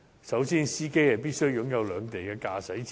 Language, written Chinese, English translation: Cantonese, 首先，司機必須擁有兩地的駕駛執照。, First of all the driver must have valid driving licence in both places